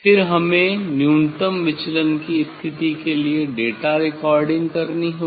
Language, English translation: Hindi, Then we have to go for the data recording or minimum deviation position